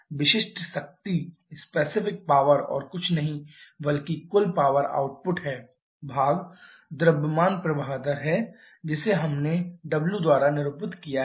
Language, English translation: Hindi, Specific power is nothing but the total power output divided by the mass flow rate which we have denoted by the small w